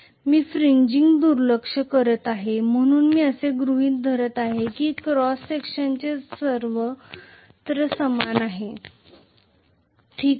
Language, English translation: Marathi, I am neglecting fringing, so I am assuming that the area of cross section is everywhere the same, okay